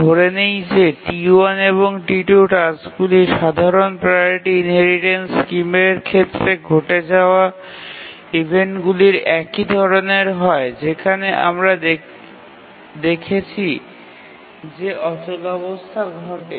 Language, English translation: Bengali, Let us assume that task T1 and T2 have the similar sequence of events as occurred in the case of simple priority inheritance scheme where we showed that deadlock occurs